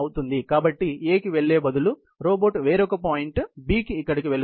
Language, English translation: Telugu, So, instead of going to A, the robot goes to certain point B, right about here